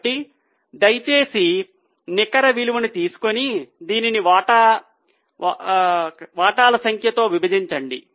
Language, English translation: Telugu, So, please take net worth and divided by number of shares